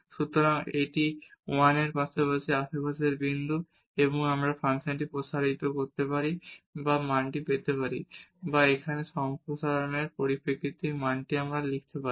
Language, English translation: Bengali, So, this is the point in the neighborhood of this 1 and we can expand this function or get this value or write down this value in terms of this expansion here